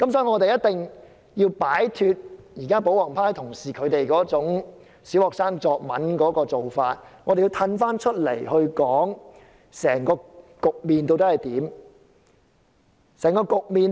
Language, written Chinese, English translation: Cantonese, 我們必須擺脫保皇派同事那種小學生作文的思維，退一步來看整個局面究竟是怎樣？, We must discard the mentality of the royalist Members who act like primary students participating in an essay composition . We should step back and look at the whole picture